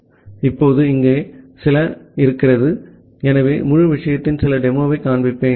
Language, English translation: Tamil, Now, here are some, so I will show you some demo of the entire thing